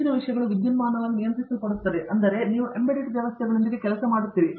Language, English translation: Kannada, Most of the things are electronically controlled which means, you are working with embedded systems